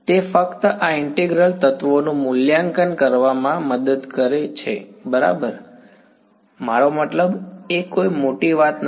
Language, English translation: Gujarati, It just helps in evaluating these integrals ok; I mean it’s not a big deal